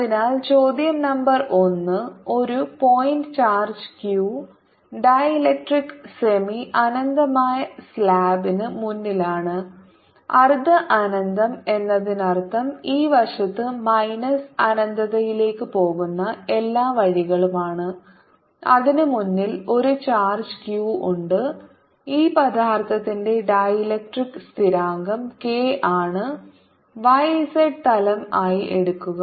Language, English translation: Malayalam, so question number one: a point charge q is in front of a dielectric semi infinite slab semi infinite means it's all the way going upto minus infinity on this side and there is a charge q in front of it at a distance d